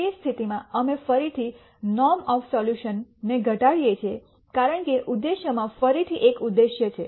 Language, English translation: Gujarati, In that case again we minimize the norm of the solution as the objective again there is a minimization there is an objective